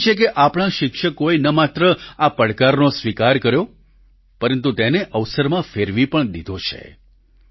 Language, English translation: Gujarati, I am happy that not only have our teachers accepted this challenge but also turned it into an opportunity